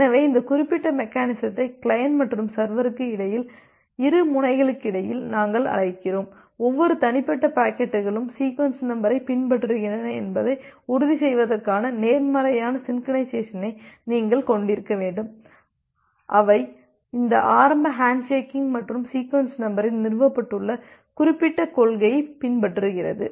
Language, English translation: Tamil, So this particular mechanism we call it at between the client and the server between the two ends, you should have a positive synchronization for ensuring that every individual packets are having following the sequence number, which have been established during this initial handshaking phase and the sequence numbering follows that particular principle